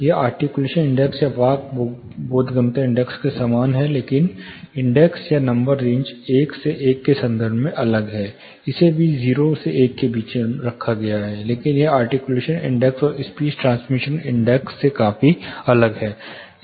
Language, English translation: Hindi, It is similar to articulation index or speech intelligibility index, but different in terms of the index are the number range 0 to 1, it is also a you know range 0 to 1, but it differs considerably from articulation index and speech transmission index